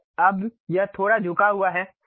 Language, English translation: Hindi, So, now, it is slightly tilted